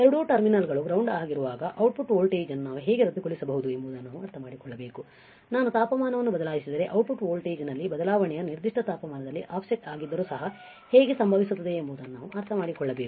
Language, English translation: Kannada, We have to understand how we can nullify the output voltage when both the terminals are the input are ground, we have to understand how the change in the output voltage would happen even the offset is nulled at particular temperature if I change the temperature right